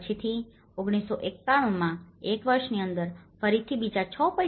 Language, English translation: Gujarati, Later within one year in 1991, again another 6